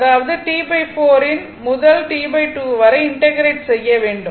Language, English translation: Tamil, So, this is; that means, we have to integrate from T by 4 to T by 2